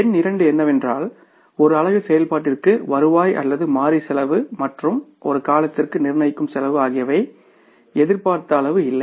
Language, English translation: Tamil, And number two is revenue or variable cost per unit of activity and fixed cost per period were not same as expected